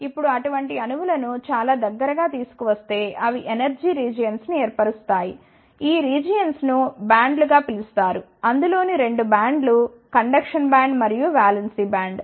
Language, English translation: Telugu, Now, many of such atoms are if brought in the close vicinity, they form a energy regions, these regions are called S bands; 2 of the bands are the conduction band and the valence band